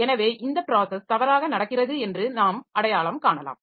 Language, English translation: Tamil, So, we may identify the process to be one which is misbehaving